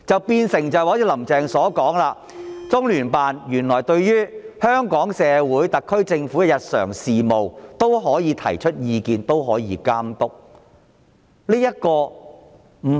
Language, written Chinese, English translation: Cantonese, 變成"林鄭"所說般，中聯辦對於香港社會和特區政府的日常事務，都可以提出意見和監督。, The outcome is like what Carrie LAM said that LOCPG can comment on and supervise the daily matters of Hong Kong and the SAR Government